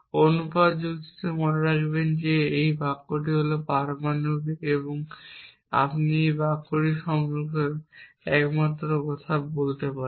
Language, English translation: Bengali, Remember in proportion logic a sentence is atomic and the only thing you can say about a sentence is that in our mind it stands for something